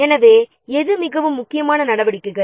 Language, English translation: Tamil, So, which are more critical activities